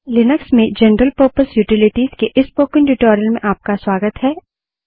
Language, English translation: Hindi, Hi, welcome to this spoken tutorial on General Purpose Utilities in Linux